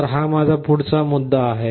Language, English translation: Marathi, So, this is my next point